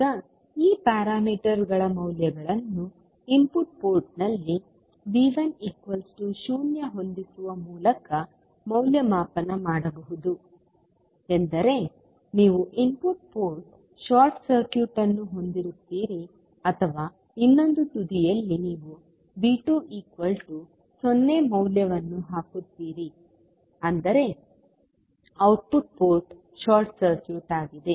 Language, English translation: Kannada, Now, the values of this parameters can be evaluated by setting V 1 equal to 0 at the input port means you will have the input port short circuited or at the other end you will put the value of V 2 equal to 0 means output port is short circuited